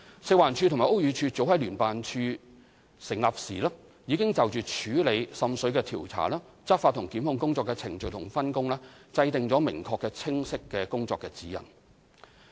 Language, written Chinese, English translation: Cantonese, 食環署及屋宇署早在成立聯辦處時已就處理滲水的調查、執法及檢控工作的程序及分工制訂明確清晰的工作指引。, FEHD and BD have drawn up clear operational guidelines on the investigation enforcement and prosecution procedures and plan on division of labour for handling water seepage cases since the establishment of JO